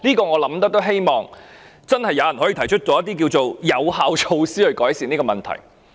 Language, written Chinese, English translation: Cantonese, 我希望真的有人可以提出一些有效措施，改善這個問題。, I hope that someone can really suggest some effective measures to mitigate this issue